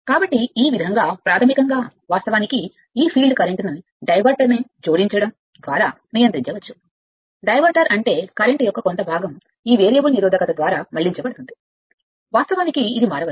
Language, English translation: Telugu, So, by this way part of your basically, you can control this field current by adding a diverter, diverter means part of the current is diverted through this variable resistance, you can vary this